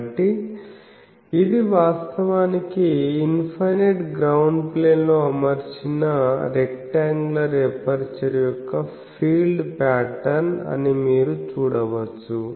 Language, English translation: Telugu, So, you can see that this is actually the field pattern of an rectangular aperture mounted on an infinite ground plane